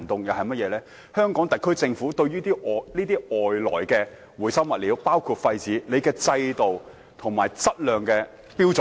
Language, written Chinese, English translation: Cantonese, 香港特區政府對於外來包括廢紙等回收物料，有何制度和質量標準？, What system and quality standards does the Government have in place for recyclables such as waste paper coming from overseas?